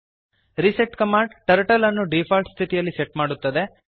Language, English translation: Kannada, reset command sets the Turtle to default position